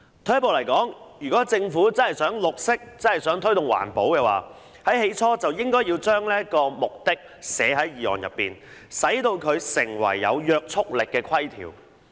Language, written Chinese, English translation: Cantonese, 退一步而言，如果政府真的想"綠色"，真的想推動環保，最初就應該將這個目的寫進決議案內，使它成為有約束力的條文。, If the Government really wants to go green and promote environmental protection it should have included this objective in the Resolution and made it a provision with binding effect